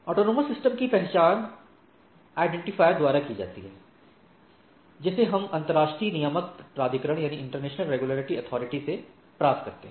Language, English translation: Hindi, And autonomous systems identify is identified by the by a unique number, what we get from the international regulatory or authority